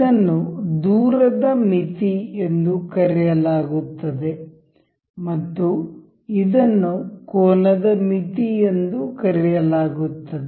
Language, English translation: Kannada, the This is called distance limit and this is called a angle limit